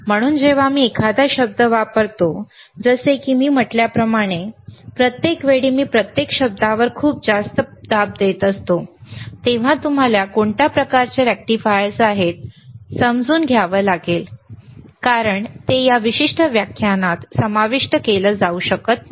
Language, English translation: Marathi, So, when I use a word, like I said, every time when I am im pressing it very heavy on and each word, you have to go and you have to see what are kinds of rectifiers;, Bbecause it may not be covered in this particular lecture